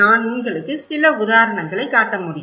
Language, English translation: Tamil, I can show you some example